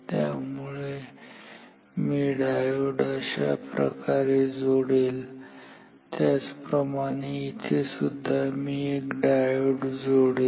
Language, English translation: Marathi, So, I will put the diode like this, similarly here I would like to put a diode